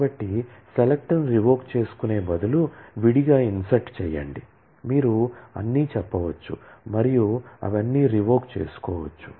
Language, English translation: Telugu, So, instead of revoking select, insert separately, you can just say all and revoke all of that